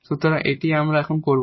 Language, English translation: Bengali, So, that is what we will do now